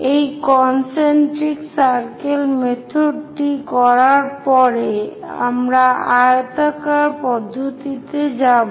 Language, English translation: Bengali, After doing this concentric circle method, we will go with oblong method